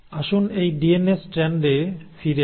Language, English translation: Bengali, Now let us come back to this DNA strand